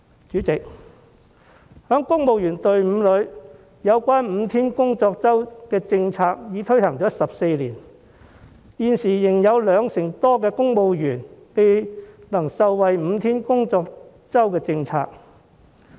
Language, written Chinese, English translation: Cantonese, 主席，在公務員隊伍中 ，5 天工作周的政策已經推行了14年，但現時仍有兩成多公務員未能受惠於5天工作周的政策。, President the five - day week policy has been implemented in civil service for 14 years . Yet more than 20 % of civil servants are still unable to benefit from it